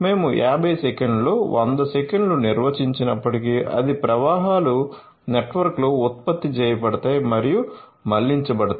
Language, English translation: Telugu, So, although we have defined 100 seconds within 50 seconds all flows are generated and routed in the network